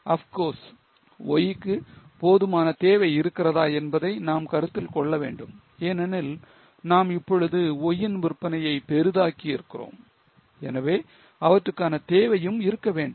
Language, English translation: Tamil, Of course, we have to consider whether there is enough demand for Y because now we are zooming up the sales of Y, there should be demand for it